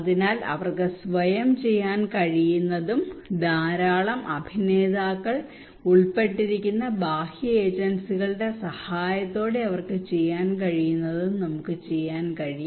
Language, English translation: Malayalam, So that we can do through what we can what they can do by themselves and what they can do with the help of external agencies with lot of actors are involved